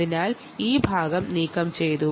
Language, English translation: Malayalam, so this part was removed